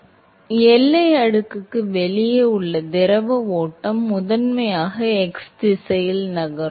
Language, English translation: Tamil, So, the fluid stream outside the boundary layer is primarily going to move in the x direction